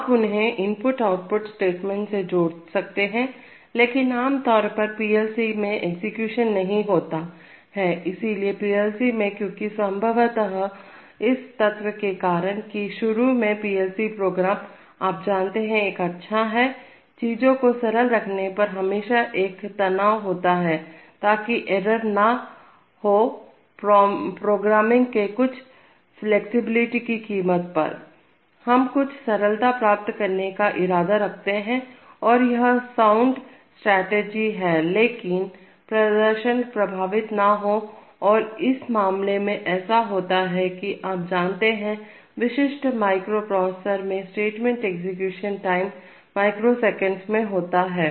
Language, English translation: Hindi, You could intersperse them with the input and the output statements but typically in a, in PLC execution that does not take place, so in PLC, because, presumably because of the fact that initially the PLC programs, you know, there is a good, there is always a stress on keeping things simple, so that errors do not occur, so at the cost of some flexibility of programming, we are intending to achieve some simplicity and that is the sound strategy, provided performance is not affected and in this case it happens that, you know, typical microprocessors statement execution times run in microseconds